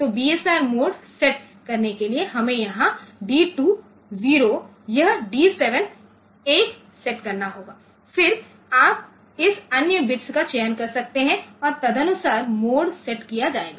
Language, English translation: Hindi, So, for setting BSR mode, we have to set this D 7, D 2 0, this D 7 1, then you can select this other bits and accordingly the mode will be set